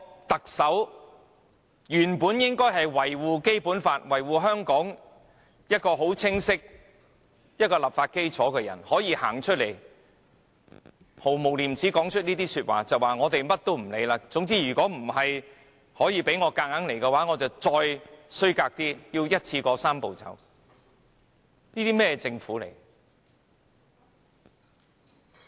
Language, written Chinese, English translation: Cantonese, 特首本應是維護《基本法》和香港清晰立法基礎的人，如今卻毫無廉耻地說出這番話，說他們甚麼也不管，如果無法強行通過，他們便會使出更卑劣的手段，一口氣完成"三步走"。, The Chief Executive supposed to be the one who upholds the Basic Law and a clear basis for lawmaking in Hong Kong has now shamelessly made such a remark claiming that they will steam ahead at any cost . If they do not manage to bulldoze it through they will resort to even more despicable means kick - starting the Three - step Process concurrently